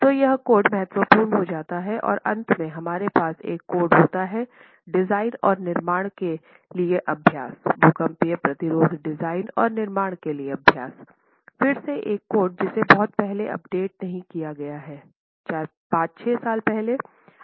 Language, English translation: Hindi, And finally, we have the code, which is a code of practice for design and construction, earthquake rest in design and construction, again a code that has been updated not too long ago, but 5, 6 years ago, IS 4326